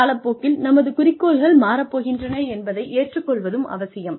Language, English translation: Tamil, And, it is also essential to accept, that our goals are going to change, with the time